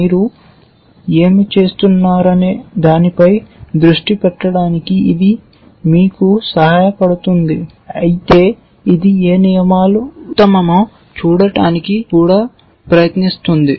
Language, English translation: Telugu, It helps you keep focus to what you are doing, but it also tries to see which rules are best and so on